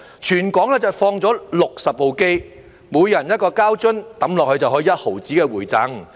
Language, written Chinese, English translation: Cantonese, 全港放了60部機，每投入一個膠樽就可有 0.1 元的回贈。, There are 60 machines in Hong Kong and a rebate of 0.1 is provided for every plastic bottle inserted into the machine